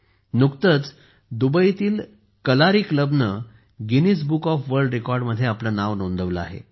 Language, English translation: Marathi, Recently news came in from Dubai that the Kalari club there has registered its name in the Guinness Book of World Records